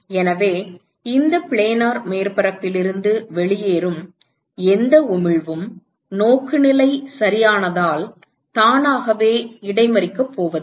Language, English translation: Tamil, So, whatever emission that comes out of this planar surface is not going to be intercepted by itself because of the orientation right